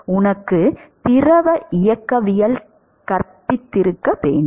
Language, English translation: Tamil, Must have been taught you in fluid mechanics